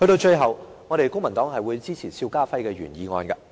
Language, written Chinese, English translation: Cantonese, 最後，公民黨支持邵家輝議員的原議案。, Lastly the Civic Party supports Mr SHIU Ka - fais original motion